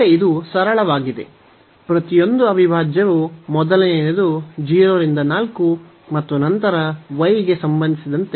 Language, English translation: Kannada, So, again this is a simple each of the integral is simplest the first one is 0 to 4 and then with respect to y